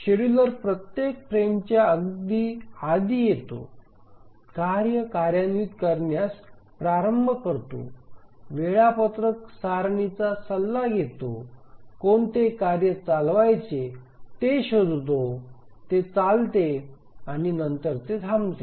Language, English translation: Marathi, The scheduler comes up just before every frame, starts execution of the task, consults the schedule table, finds out which task to run, it runs and then it stops